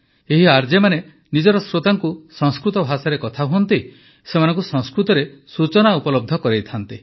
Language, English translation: Odia, These RJs talk to their listeners in Sanskrit language, providing them with information in Sanskrit